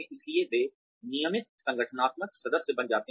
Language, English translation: Hindi, So, they become regular organizational members